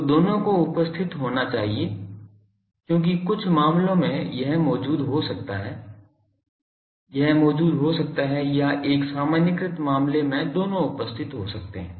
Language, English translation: Hindi, So, both should be present because in some cases this may be present in some cases, this may be present or in a generalized case both can be present